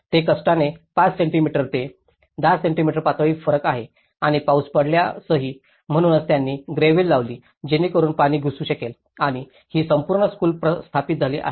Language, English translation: Marathi, It is hardly 5 centimeters to 10 centimeters level difference and even in case when rain happens, so that is where they put the gravel so that the water can percolate and this whole school has been established